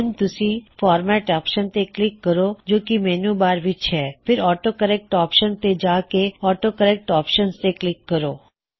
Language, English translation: Punjabi, Now click on the Format option in the menu bar then go to the AutoCorrect option and then click on the AutoCorrect Options